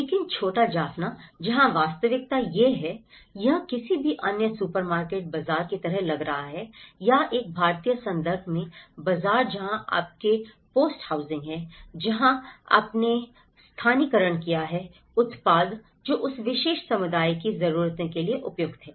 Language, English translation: Hindi, But the little Jaffna where the reality is this, it is looking like any other supermarket, bazaar or a bazaar in an Indian context where you have the hoardings, where you have the localized products, which is suitable for that particular community needs